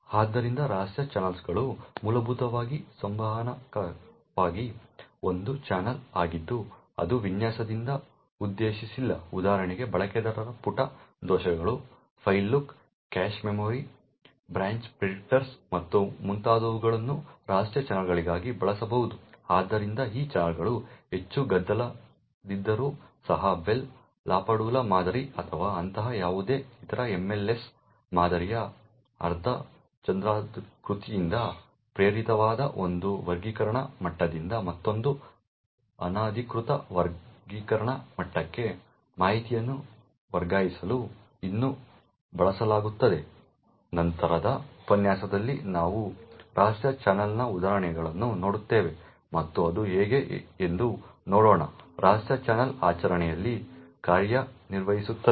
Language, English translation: Kannada, So covert channels are essentially a channel for communication which is not intended by design, for example the user page faults, file lock, cache memory, branch predictors and so on can be use as covert channels, so these channels although they are highly noisy can still be used to transfer information from one classification level to another unauthorised classification level inspired of the Bell LaPadula model or any other such MLS model crescent, in a later lecture we will look at an example of a covert channel and will also see how a covert channel works in practice